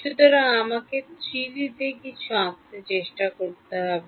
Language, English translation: Bengali, So, I have to try to draw something in 3D